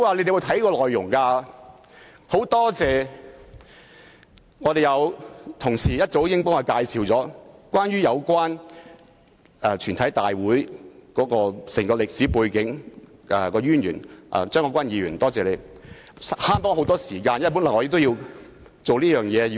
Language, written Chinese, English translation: Cantonese, 因此，我很感謝較早前有同事向大家介紹有關全體委員會的歷史背景及淵源——多謝張國鈞議員——令我們節省了很多時間，否則我也要花時間了解。, I am therefore very grateful that this morning a colleague gave us a briefing on the historical background and origin of a committee of the whole Council . Thank you Mr CHEUNG Kwok - kwan . You have saved us a lot of time or else I will have to spend time on understanding the background